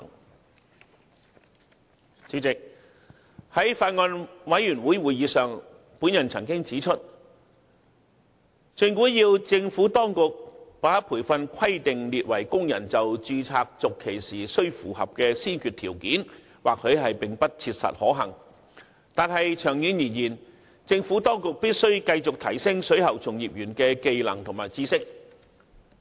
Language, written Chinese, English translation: Cantonese, 代理主席，在法案委員會會議上，我曾指出，政府當局把培訓規定列為工人就註冊續期時須符合的先決條件或許並不切實可行，但長遠而言，政府當局必須繼續提升水喉從業員的技能和知識。, Deputy President I had pointed out at a Bills Committee meeting that it would be impractical if the Administration made it a prerequisite for workers seeking renewal of their registrations that they should have attended relevant continuing professional development programmescourses . In the long run however the Administration should continue its efforts in enhancing the skills and knowledge of plumbing practitioners